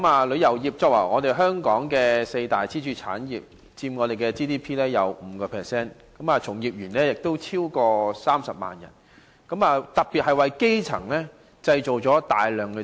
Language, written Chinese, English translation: Cantonese, 旅遊業是香港四大支柱產業，佔本港 GDP 的 5%， 從業員超過30萬人，當中很多是基層職位。, Among the four pillar industries in Hong Kong tourism accounts for 5 % of GDP and employs more than 300 000 workers many of whom are in junior posts